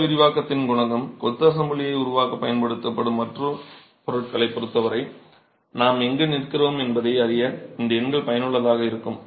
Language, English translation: Tamil, The coefficiental thermal expansion, these numbers are useful to know where we stand with respect to other materials that are used to create the masonry assembly